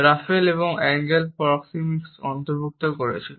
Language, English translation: Bengali, Raffle and Engle had included proxemics